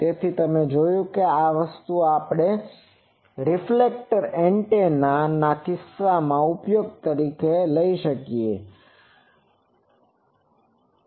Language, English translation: Gujarati, So, you see that this thing we have claimed in case of reflector antennas